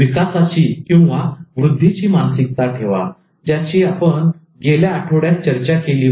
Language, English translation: Marathi, Have that growth mindset which we discussed in the previous week